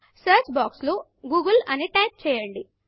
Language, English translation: Telugu, In the search box type google